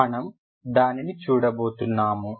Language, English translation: Telugu, We will see what it is